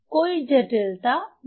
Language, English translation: Hindi, So, there is no complication